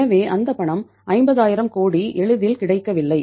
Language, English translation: Tamil, So that money was not easily available 50000 crores